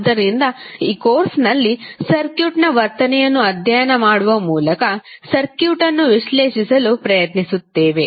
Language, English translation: Kannada, So, what we will study in this course; we will try to analyse the circuit by studying the behaviour of the circuit